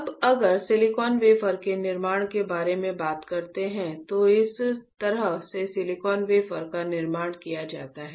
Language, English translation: Hindi, Now, if you talk about fabrication of the silicon wafer right, then this is how the silicon wafer is fabricated